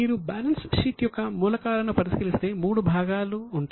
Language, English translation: Telugu, So, if you look at the elements of balance sheet, there are three parts